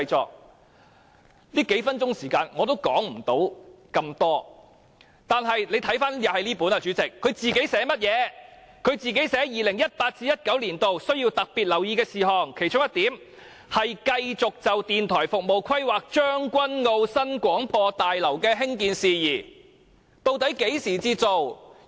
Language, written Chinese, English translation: Cantonese, 只有這幾分鐘時間，我也說不了太多，但大家看看這本書寫甚麼，這裏說 2018-2019 年度需要特別留意的事項，其中一項是"繼續就電台服務規劃將軍澳新廣播大樓的興建事宜"，究竟何時才做？, With only a few minutes remaining I cannot talk about this in great detail . But take a look at what is written in this book . It says here that one of the matters requiring special attention in 2018 - 2019 is to continue to plan for the construction of the new Broadcasting House in Tseung Kwan O in relation to radio services